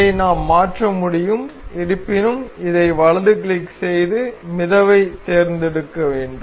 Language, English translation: Tamil, So, we can change this; however, we will have to right click this and select float